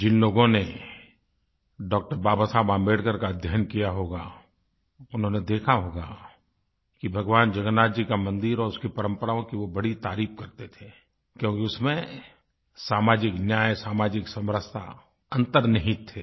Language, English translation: Hindi, Baba Saheb Ambedkar, would have observed that he had wholeheartedly praised the Lord Jagannath temple and its traditions, since, social justice and social equality were inherent to these